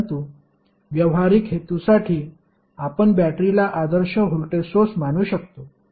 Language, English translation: Marathi, But for a practical purpose we can consider battery as ideal voltage source